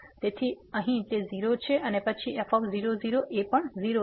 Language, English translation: Gujarati, So, here it is 0 and then, this is also 0